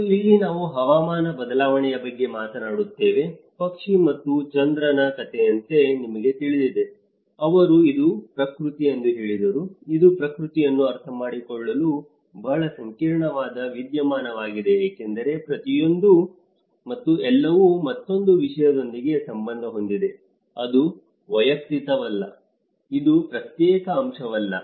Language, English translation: Kannada, And this is where we talk about the climate change shuffle, as a bird and moon story you know so, they said that it is a nature, it is a very complex phenomenon to understand nature because each and everything is linked with another thing, it is not individual, it is not an isolated aspect